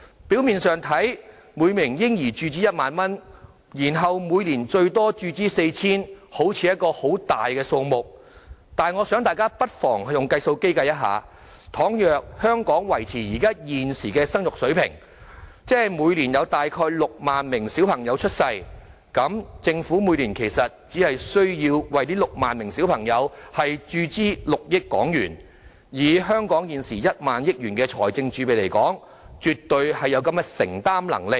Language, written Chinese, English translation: Cantonese, 表面看來，每名嬰兒注資1萬元，然後每年最多注資 4,000 元，好像是一筆大數目，但大家不妨用計算機計算一下，倘若香港維持現時的生育水平，即每年有大約6萬名嬰兒出生，政府每年其實只需要為這6萬名嬰兒注資6億港元，以香港現時1萬億元的財政儲備，絕對有承擔能力。, On the face of it if a sum of 10,000 is to be injected for each baby to be followed by an annual injection capped at 4,000 it will be a substantial amount . But Members may do some calculations with a calculator . If the fertility rate of Hong Kong remains at the present level with about 60 000 newborn babies every year actually the Government will only need to inject HK600 million for these 60 000 babies annually